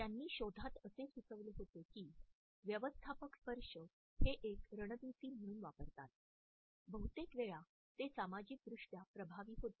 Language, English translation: Marathi, In the findings they had suggested that managers who used touch is a strategy, more frequently were more socially effective